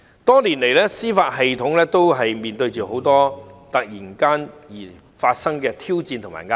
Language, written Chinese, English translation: Cantonese, 多年來，司法體系一直面對很多突如其來的挑戰和壓力。, Over the years the judicial system has faced many unexpected challenges and pressures